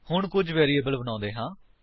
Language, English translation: Punjabi, Now let us create a few variables